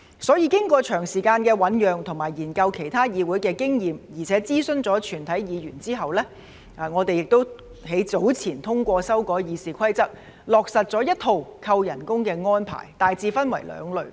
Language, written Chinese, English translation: Cantonese, 所以，經過長時間的醞釀和研究其他議會的經驗，並且諮詢全體議員後，我們早前也通過修改《議事規則》，落實一套扣減酬金的安排，大致分為兩類。, Therefore after lengthy deliberation examination of the experience of other parliaments and consultation with all Members we passed the amendments to RoP earlier to implement a set of arrangements for remuneration deduction which is broadly divided into two categories